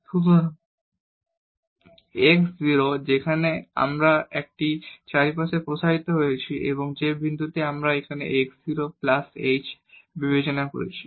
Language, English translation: Bengali, So, x 0 where we have expanded this around and the point which we are considering here x 0 plus h